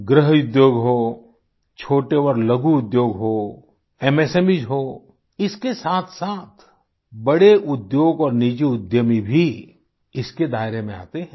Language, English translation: Hindi, Be it cottage industries, small industries, MSMEs and along with this big industries and private entrepreneurs too come in the ambit of this